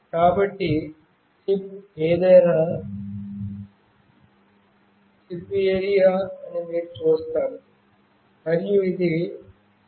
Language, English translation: Telugu, So, you see that whatever is the chip this is for the chip area, and this is the SIM900